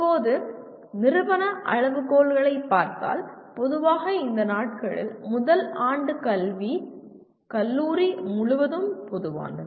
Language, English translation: Tamil, And now coming to institute level criteria, generally these days first year academics is kind of common across the college